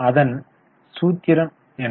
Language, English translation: Tamil, What is the formula